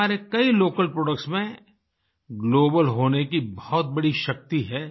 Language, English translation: Hindi, Many of our local products have the potential of becoming global